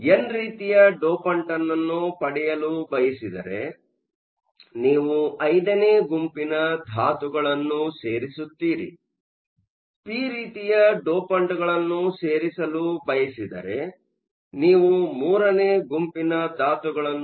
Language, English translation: Kannada, If you want an n type dopant, you are going to add group 5 elements; if you want add p type dopants, you are going to add group 3 elements